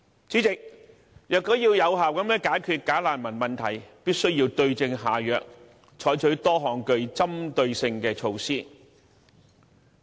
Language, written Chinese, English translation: Cantonese, 主席，要有效解決"假難民"問題，必須對症下藥，採取多項針對性措施。, President we must get to the root and implement various specific measures in order to resolve the problem of bogus refugees